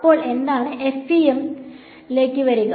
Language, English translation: Malayalam, Then you come to FEM